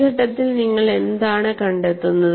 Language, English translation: Malayalam, So, what you find at this stage